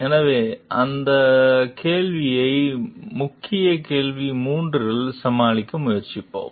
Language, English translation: Tamil, So, we will try to deal with that question in the key question 3